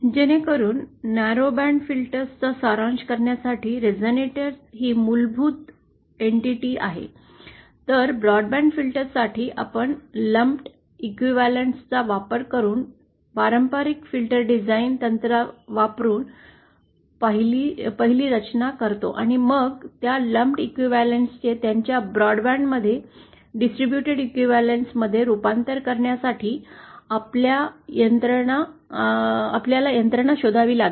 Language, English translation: Marathi, So as to summarise for narrowband filters, resonators are the fundamental entity, whereas for broadband filters, we 1st design using the traditional filter design techniques using lumped elements and then we have to find the mechanism to convert these lumped elements to their broadband to their distributed equivalent